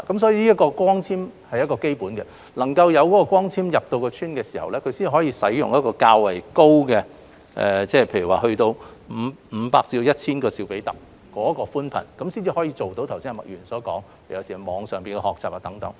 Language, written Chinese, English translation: Cantonese, 所以，光纖網絡是基本的，讓光纖入村，他們才能使用較高的——例如500至 1,000 兆比特——寬頻，這樣才可做到麥議員剛才所說的網上學習活動。, Hence the extension of fibre - based networks to villages is fundamental so that villagers can enjoy broadband services of higher speed―for example 500 - 1 000 Mbps―which can sustain the online learning activities mentioned earlier by Ms MAK